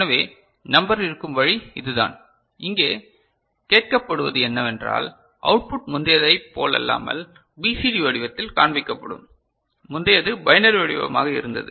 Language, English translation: Tamil, So, this is the way the number will be there and here what is asked is that the output will be shown in the BCD format unlike the previous previous it was a binary format